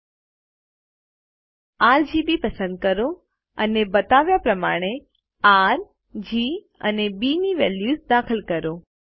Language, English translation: Gujarati, Then, select RGB and enter the values for R, G and B as shown